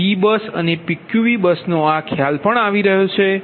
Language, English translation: Gujarati, so this concept of p bus and pqv bus are also coming